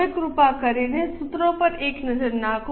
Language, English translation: Gujarati, Now please have a look at the formulas